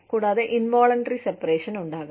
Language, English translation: Malayalam, And, there could be, involuntary separation